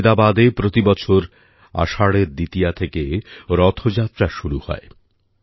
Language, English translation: Bengali, In Ahmedabad, Gujrat too, every year Rath Yatra begins from Ashadh Dwitiya